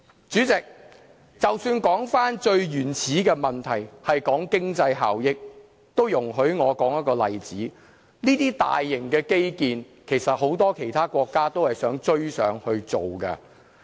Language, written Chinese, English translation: Cantonese, 主席，即使說回最原始的問題，就是經濟效益，容許我說一個例子，其實很多國家都想追上建造這些大型基建。, President I would go back to the most fundamental issue which is the economic benefits of the XRL . Please allow me to illustrate this by an example . Actually many countries are eager to catch up with the construction of large - scale infrastructures